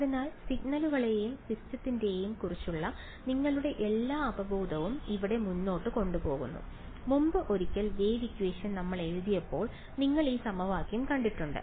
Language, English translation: Malayalam, So, all your intuition of signals and systems carries forward over here and this equation you have already been once before when we wrote down for the wave equation right